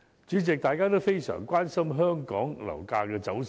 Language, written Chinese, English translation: Cantonese, 主席，大家均非常關心香港樓價走勢。, President property price movements are of prime concern to members of the public